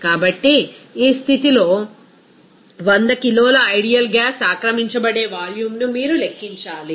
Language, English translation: Telugu, So, at this condition, you have to calculate what should be the volume that will be occupied by 100 kg of an ideal gas